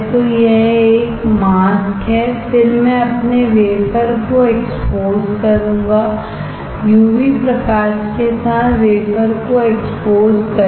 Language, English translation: Hindi, So, this is a mask and then I will expose my wafer; expose the wafer with UV light